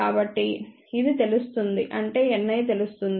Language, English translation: Telugu, So, this will be known that means, N i is known